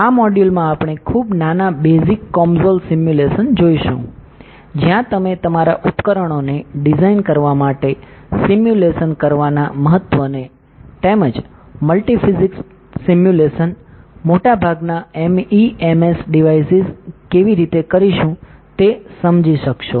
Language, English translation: Gujarati, In this module we will be seeing very small basic COMSOL simulation where you will understand the importance of doing simulations to design your devices as well as how to go about doing multi physics simulations, most of the MEMS devices